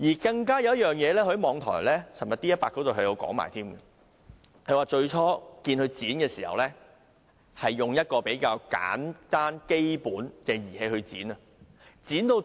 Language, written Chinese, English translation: Cantonese, 他昨天在網台 D100 還提到另一件事：最初他看到他們剪短鋼筋時，是用一個比較簡單、基本的工具去剪。, He had spilled all the beans . Yesterday he also mentioned another issue in the online station D100 . He said when he first saw workers cut the steel bars they used a rather simple and basic tool